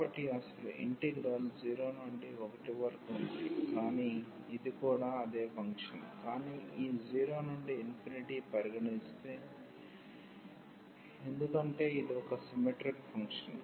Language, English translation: Telugu, So, in the original integrate was 0 to 1, but this is also the same function, but having this 0 to infinity now, into the picture or we can because this is a symmetric function